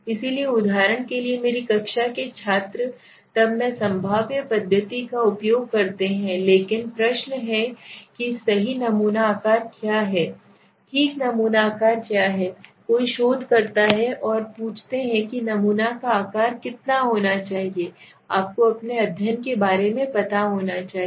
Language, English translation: Hindi, So for example students in my class then I use the probabilistic method but now the question comes what is the right sample size okay what is the right sample size now how do I know the right sample size is there any method that somebody can tell me because everybody the research students have been come and ask what should be the sample size how many sample should be taken then how do I know you should know about your study